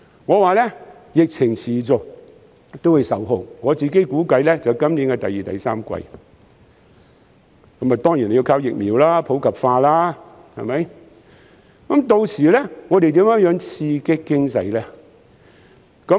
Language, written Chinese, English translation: Cantonese, 我說疫情持續，估計會在今年第二三季才受控，而疫情受控當然要靠疫苗普及化，之後又如何刺激經濟呢？, I said that the epidemic would last for a while and could only be contained in the second or third quarter of this year . We surely need to rely on popularization of vaccination against the virus to contain the epidemic . But afterwards how are we going to stimulate the economy?